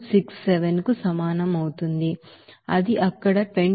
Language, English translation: Telugu, 267 that is 26